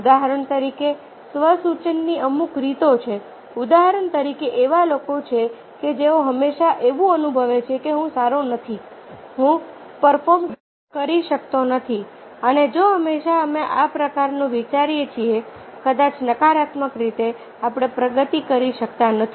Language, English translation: Gujarati, for example, there are people who feel all the time that i am not good, i am, i cannot perform, i cannot do, and if all the time we are thinking this kind of negative ways, perhaps we cannot make progress